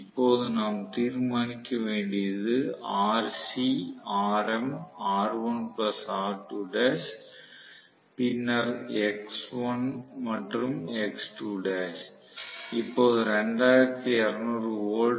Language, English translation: Tamil, Now, what is being asked is determine rc, xm, r1 plus r2 dash then x1 and x2 dash